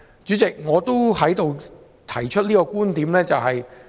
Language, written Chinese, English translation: Cantonese, 主席，我在此要提出一個觀點。, Chairman I wish to raise a point here